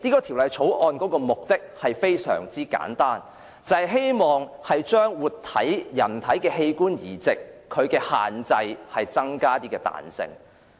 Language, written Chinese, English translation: Cantonese, 《條例草案》的目的非常簡單：為人體活體器官移植的限制增加彈性。, The objective of the Bill is very simple To increase flexibility for the restrictions on live human organ transplant